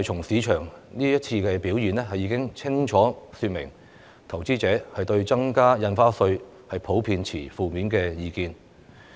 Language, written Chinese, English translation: Cantonese, 市場這次表現已清楚說明，投資者對增加印花稅普遍持負面意見。, These market reactions have clearly shown that investors generally hold a negative view on the Stamp Duty hike